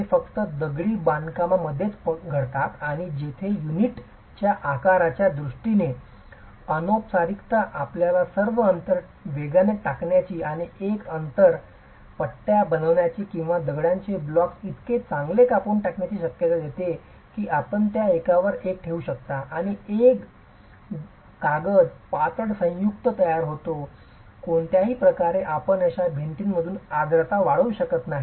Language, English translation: Marathi, They don't happen in brick masonry constructions, they happen only in stone masonry constructions and where the informality in terms of the sizes of the units gives you the possibility of wedging all gaps and either wedging all gaps or having stone blocks cut so well that you can place them one over the other and have a paper thin joint that is formed because in any way you cannot allow moisture to just percolate through such walls